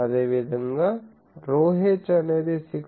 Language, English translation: Telugu, And, similarly rho h will be 6